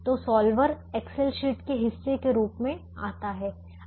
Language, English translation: Hindi, so the solver comes as part of the excel sheet